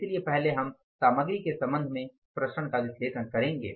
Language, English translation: Hindi, So first we will analyze the variances with regard to the material